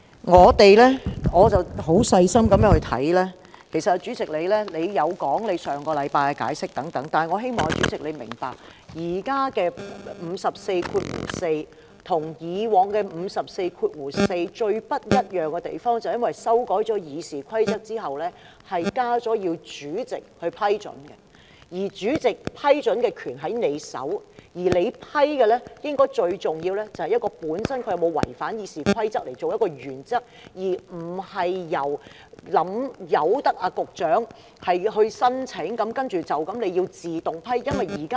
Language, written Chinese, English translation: Cantonese, 我十分細心的閱讀，其實主席有就上星期的做法作解釋，但我希望主席明白，現在的《議事規則》第544條跟以往《議事規則》第544條最不一樣的地方，便是因為修改《議事規則》之後，加入"需要主席的批准"，"主席批准"的權力在主席手上，而主席批准時最重要的一點，是以議案它本身有否違反《議事規則》作原則，而不是任由局長提出申請，然後便自動獲批准。, Actually the President has explained his approach last week . But I hope that the President will understand the difference between the previous and current versions of Rule 544 of the Rules of Procedure and that is after the Rules of Procedure was revised with the consent of the President was added to Rule 544 . The power of consent of the President is vested upon the President and when giving his consent the most important principle for the President is whether or not the motion itself violates the Rules of Procedure instead of allowing a Secretary to apply and giving his consent automatically